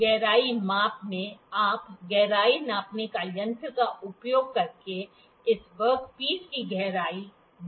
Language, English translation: Hindi, In depth measurement, you can see the depth of this work piece using the depth gauge